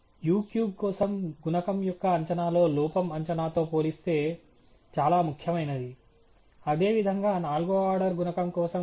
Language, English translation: Telugu, The error in the estimate of the coefficient for u cube is quite significant compared to the estimate itself; and like wise for the fourth order coefficient as well